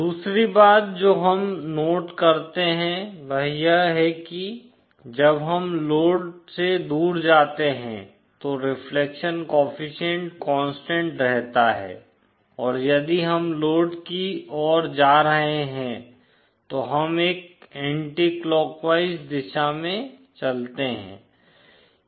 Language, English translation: Hindi, The other thing that we note is that the magnitude of the reflection coefficient as we go away from the load remains constant and if we are going towards the load, then we move in an anticlockwise direction